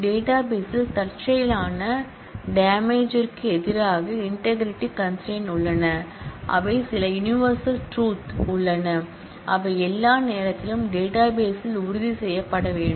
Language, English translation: Tamil, Integrity constraints guard against accidental damage to the database that is there are certain real world facts that must be ensured in the database all the time